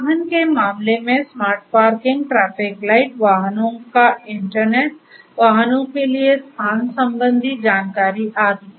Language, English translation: Hindi, In the case of transportation smart parking, traffic lights, internet of vehicles, location aware services to the vehicles and so on